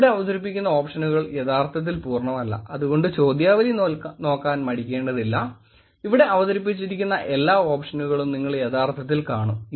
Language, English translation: Malayalam, Again, the options that I am presenting here is not actually a complete, feel free to look at the questionnaire, where you will actually see all the options that was presented